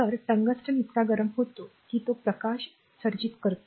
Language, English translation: Marathi, So, tungsten becomes hot enough so, that light is emitted